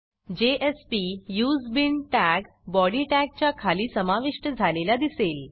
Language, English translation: Marathi, Notice that a jsp:useBean tag is added beneath the body tag